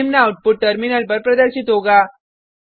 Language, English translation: Hindi, The following output will be displayed on the terminal